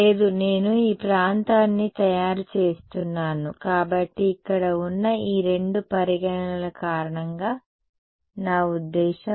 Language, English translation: Telugu, No, because I am making this region I mean because of these two considerations right over here